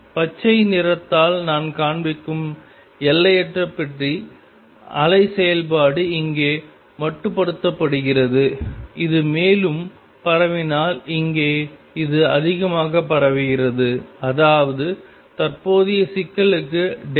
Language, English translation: Tamil, Infinite box wave function I show by green most confined here goes confined here, here this is more spread out if this is more spread out; that means, delta x for current problem